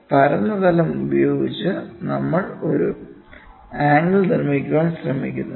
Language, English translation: Malayalam, So, this flat plane is trying to make an angle